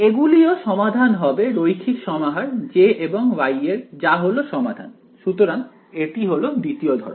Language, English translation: Bengali, They will also be solutions right linear combinations of J and Y will also be solutions, so that is the second type